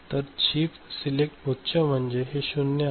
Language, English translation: Marathi, So, chip selecting is high means this is 0 ok